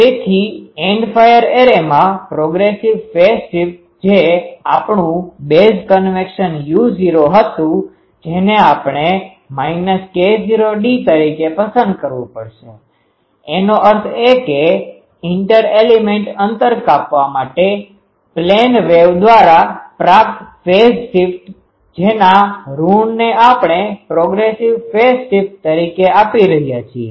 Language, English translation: Gujarati, So, in the End fire array, the progressive phase shift which was our it was base convention u not that will have to choose as minus k not d; that means, the to travel an inter element distance, the phase space acquired by a plane wave that we are, negative of that we are giving as the progressive phase shift